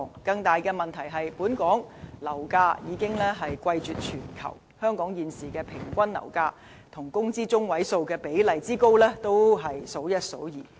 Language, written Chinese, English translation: Cantonese, 更大的問題是，本港樓價已貴絕全球，現時香港平均樓價與工資中位數的比例之高，亦是數一數二。, Even worse Hong Kong has the most expensive property market in the world and the average property prices to median wage ratio is exceptionally high at present